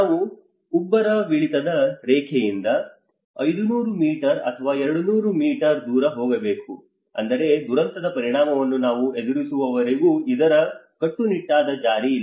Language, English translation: Kannada, We have to move away from the high tide line 500 meters or 200 meters away so which means there is no strict enforcement of this until we face that impact of the disaster